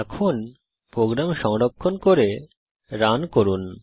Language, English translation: Bengali, Now Save and Run the program